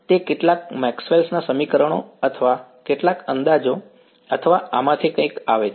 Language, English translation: Gujarati, It has to come from some Maxwell’s equations or some approximation or something of this are